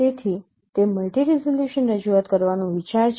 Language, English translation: Gujarati, That is the idea of having multi resolution representation